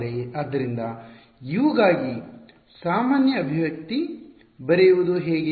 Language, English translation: Kannada, So, how do I in write a general expression for U